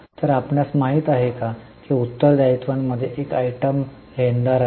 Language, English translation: Marathi, So, you know that in the liabilities there was an item creditor